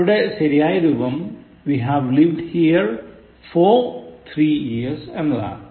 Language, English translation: Malayalam, The correct form is, we have lived here for three years